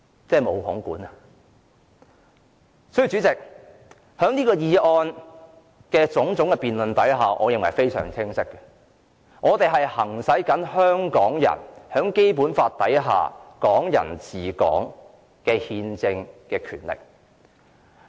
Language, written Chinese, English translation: Cantonese, 主席，由我們對議案辯論的發言可見，我們的目的非常清晰，我們是在行使香港人在《基本法》所訂"港人治港"下的憲政權力。, President from our speeches on this motion debate one can see that our objective is very clear . We are trying to exercise our constitutional right under the principle of Hong Kong people administering Hong Kong provided to Hong Kong people by the Basic Law